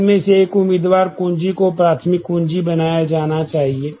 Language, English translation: Hindi, So, one of these candidate keys have to be made the primary keys